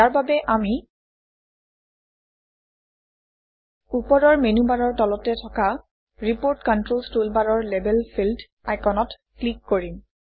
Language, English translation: Assamese, To do this, we will click on the Label field icon In the Report Controls toolbar found below the menu bar at the top